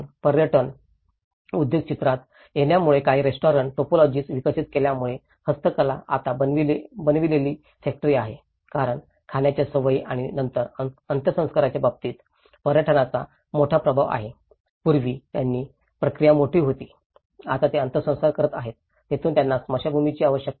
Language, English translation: Marathi, Handicrafts are now factory manufactured because of the tourism industry coming into the picture and restaurant typologies have developed because tourism has a major influence in terms of food habits and then funerals, earlier, they were having a different process and now they are doing a cremating, this is where they require a crematorium spaces